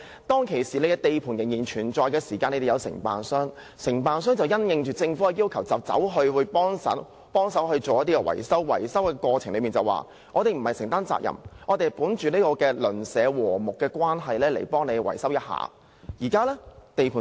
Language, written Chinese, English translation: Cantonese, 當時，由於地盤仍然存在，承建商因應政府的要求協助維修，但承建商在維修過程中表示，他們這樣做並非承擔責任，而是本着睦鄰精神進行維修。, At that time given the presence of the construction site the contractor had provided assistance in repair works at the request of the Government . During the repair process the contractor said that they did so not to accept responsibility but to foster neighbourliness